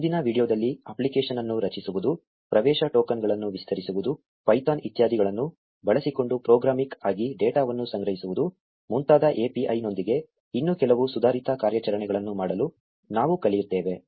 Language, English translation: Kannada, In the next video, we will learn to do some more advanced operations with the API like creating an app, extending access tokens, collecting data programmatically using python etcetera